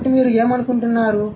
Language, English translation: Telugu, So, what do you think